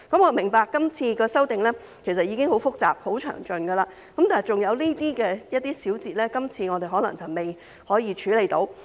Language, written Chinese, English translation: Cantonese, 我明白今次的修訂已經很複雜、很詳盡，但有些細節可能仍未處理得到。, I understand that this amendment exercise is already very complicated and thorough but there are still some details which may not have been addressed